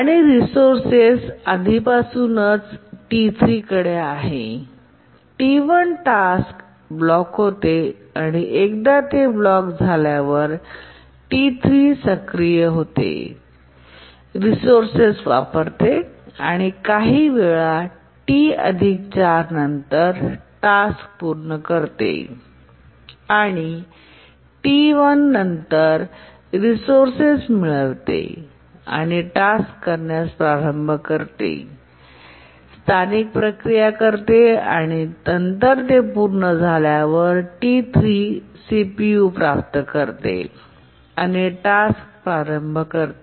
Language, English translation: Marathi, And once it gets blocked, T3 becomes active, uses the resource and after some time at T plus 4 it completes the execution and then T1 gets the resource starts executing does local processing and then after it completes then T3 gets the CPU and starts executing